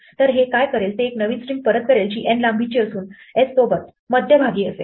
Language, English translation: Marathi, So what this will do is it will return a new string which is of length n with s centered in it